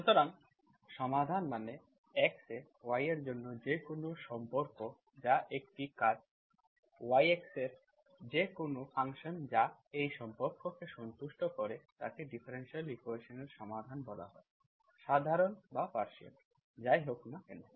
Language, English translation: Bengali, So solution means any relation for y on x, that is any function in a curve YX that satisfies this relation is called a solution of the differential equation, ordinary or partial, whatever